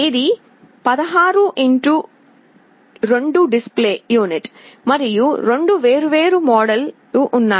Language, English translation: Telugu, It is a 16 x 2 display unit, and there are 2 different modes